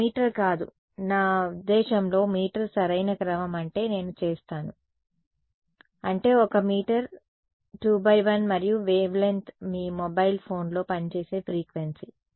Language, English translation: Telugu, 1 meter right no I mean order of meters right that is what I am to because that is, so that is 1 meter 2 into 1 and wave length is what frequency does it work at your mobile phone